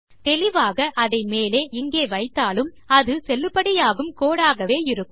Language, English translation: Tamil, Obviously if I were to put that up here, that would also be a valid code, as would that